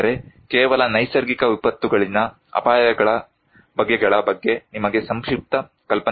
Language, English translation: Kannada, But just to give you a brief idea about the types of hazards in natural disasters